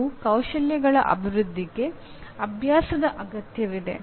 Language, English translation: Kannada, And development of the skills requires practice obviously